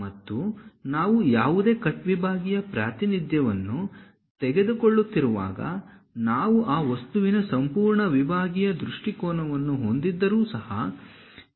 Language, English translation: Kannada, And when we are taking any cut sectional representation; even if we are taking full sectional view of that object, this thin portion should not be hatched